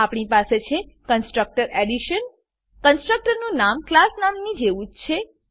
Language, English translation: Gujarati, Then we have the construtor Addition The constructor has the same name as the class name